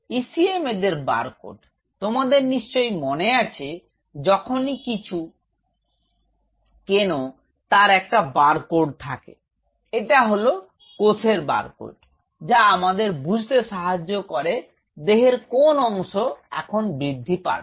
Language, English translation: Bengali, ECM is their barcode you remember the barcode whenever you buy a material, you see the barcode it is the barcode of that cell we decide which part of the body it is going grow